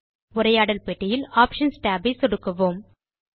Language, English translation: Tamil, Now let us click on the Options tab in the dialog box